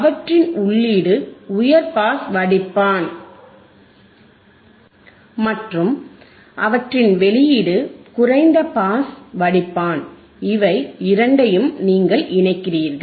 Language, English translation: Tamil, hHigh pass filter is their input, low pass filter is their output and you connect both of themboth